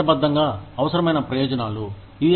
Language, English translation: Telugu, These are legally required benefits